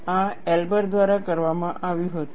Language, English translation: Gujarati, This was done by Elber